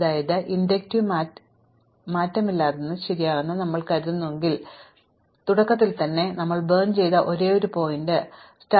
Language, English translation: Malayalam, So, if we assume that this inductive invariant is true, now it is certainly true at the beginning because at the beginning, the only vertex that we have burnt is the start vertex s, right